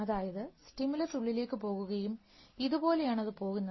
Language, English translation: Malayalam, Because stimulus goes in and it will goes like this